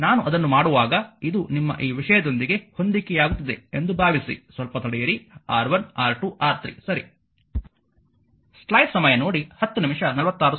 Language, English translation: Kannada, Just see that when I making it hope it is matching with this your this thing just hold on let me have a look this one this one R 1, R 2, R 3 ok